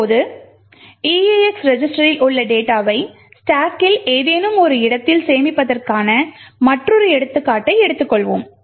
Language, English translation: Tamil, Now let us take another example where we want to load some arbitrary data into the eax register